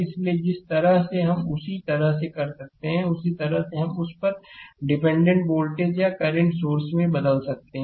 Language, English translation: Hindi, So, same way we can same way we can do same way we can transform that in your dependent voltage or current sources